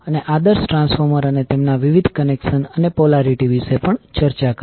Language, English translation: Gujarati, And also discussed about the ideal transformer and their various connections and the polarity